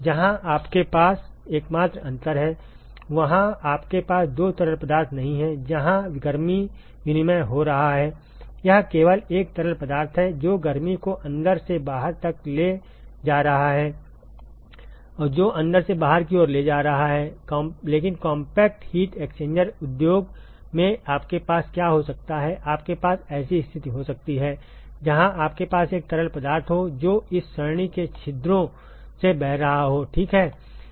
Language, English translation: Hindi, Where you have the only difference there is that you do not have two fluids where it heat exchange is happening it is just one fluid which is carrying heat from inside to the outside the airstream which is carrying from inside to the outside, but in compact heat exchanges industries, what you can have is; you can have a situation where you have one fluid, which is flowing through the pores of this array ok